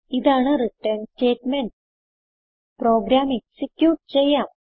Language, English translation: Malayalam, And this is our return statement Now let us execute the program